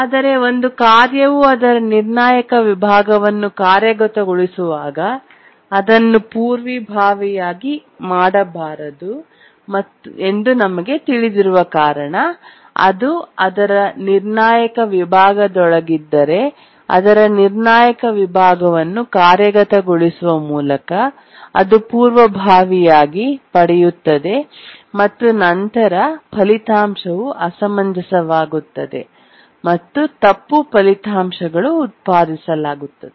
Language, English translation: Kannada, But then we know that when a task is executing its critical section, it should not be preempted because if it is inside its critical section, so executing its critical section and it gets preempted, then the result will become inconsistent, wrong results